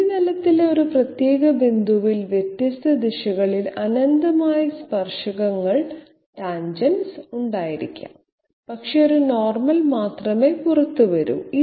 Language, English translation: Malayalam, At a particular point on the surface, there might be you know infinite number of tangents in different directions at a particular point on the surface but there is only one normal coming out